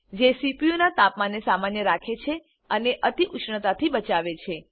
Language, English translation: Gujarati, It keeps the temperature of the CPU normal and prevents overheating